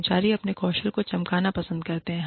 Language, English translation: Hindi, Employees like to polish, their skills